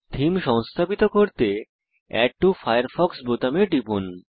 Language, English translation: Bengali, This theme displays Add to Firefox button